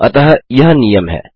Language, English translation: Hindi, So its a rule